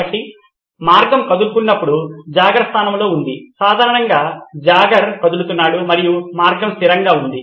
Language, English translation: Telugu, So the jogger is in place while the path is moving, typically a jogger moves and the path remains stationary